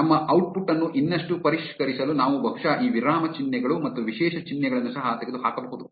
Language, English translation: Kannada, To further refine our output we can probably eliminate these punctuation marks and special symbols as well